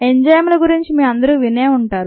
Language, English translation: Telugu, all of you would have heard of enzymes